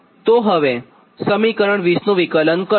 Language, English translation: Gujarati, so this is equation twenty